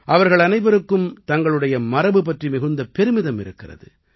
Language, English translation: Tamil, All of them are very proud of their heritage